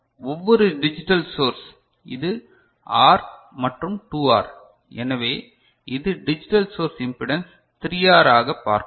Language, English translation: Tamil, And each digital source so, this is R and the 2R; so, it will see impedance as 3R so, for the digital source